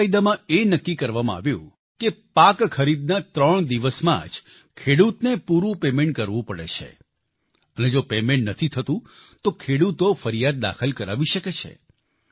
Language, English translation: Gujarati, Under this law, it was decided that all dues of the farmers should be cleared within three days of procurement, failing which, the farmer can lodge a complaint